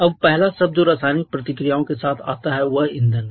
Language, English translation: Hindi, Now the first term that comes in combination with the chemical reactions that is fuel